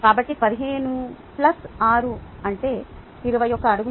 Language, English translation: Telugu, so fifteen plus six, thats twenty one feet